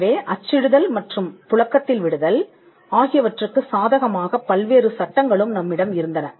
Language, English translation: Tamil, So, we had also various laws favouring printing and circulation